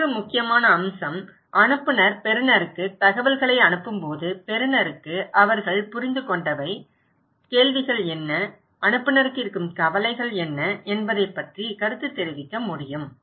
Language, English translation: Tamil, Another important aspect, when sender is sending informations to receiver, receiver will be same time able to feedback what they understand, what are the questions, concerns they have to the senders